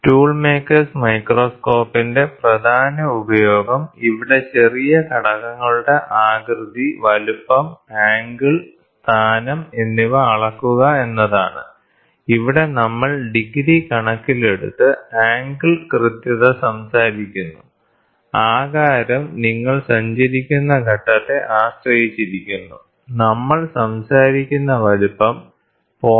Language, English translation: Malayalam, The main use of tool maker’s microscope is to measure the shape, size, angle and the position of small components here, we talk angle accuracy in terms of degrees, the shape depends on the stage what you travel, size what we talk about is we talk close to 0